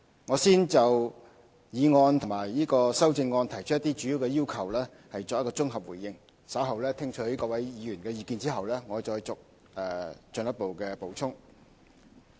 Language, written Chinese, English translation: Cantonese, 我先綜合回應議案及修正案提出的一些主要要求，稍後在聽取各位議員的意見後我會再作進一步補充。, I would first give a consolidated response to the main requests made in the motion and the amendments and would provide further information after listening to the views given by Members